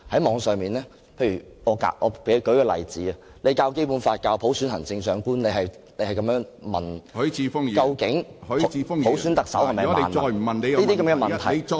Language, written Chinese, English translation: Cantonese, 我舉出一個例子，在教授《基本法》、普選行政長官的時候要問，究竟普選特首是否萬能等問題......, I will quote an example . When teaching the Basic Law on the topic of selecting the Chief Executive by universal suffrage the teacher will ask questions like whether selecting the Chief Executive by universal suffrage is a solution to all problems